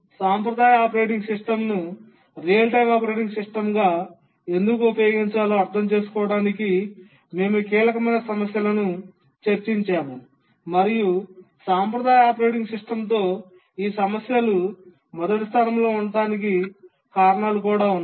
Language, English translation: Telugu, We will just look at these two issues because these are crucial issues to understand why a traditional operating system cannot be used as a real time operating system and also why these problems are there with a traditional operating system in the first place